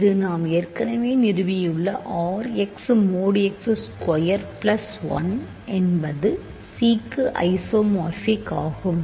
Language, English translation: Tamil, So, we have R x to C which is phi we have already established R x mod x square plus 1 is isomorphic to C